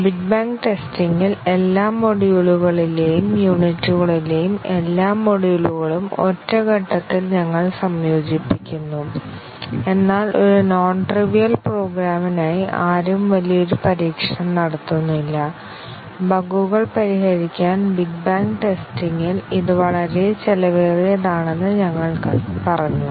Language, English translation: Malayalam, In big bang testing, we just integrate all the modules in all the modules or units in just one step, but then we said that for a non trivial program, nobody does a big bang testing, it would be too expensive to fix bugs in a big bang testing